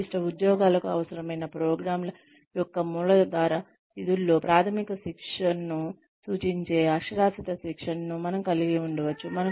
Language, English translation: Telugu, We can have literacy training, which refers to basic training, in the rudimentary functions of programs, required for specific jobs